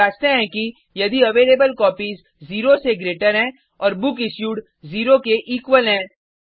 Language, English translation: Hindi, We check if availableCopies is greater than 0 and bookIssued is equal to 0